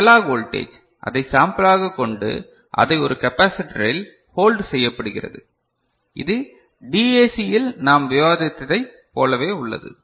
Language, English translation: Tamil, So, analog voltage is there to sample it and hold it in a capacitor, the one that we have you know similar thing we have discussed in DAC ok